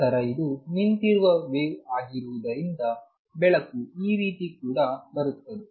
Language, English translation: Kannada, Then since this is the standing wave there is a light coming this way also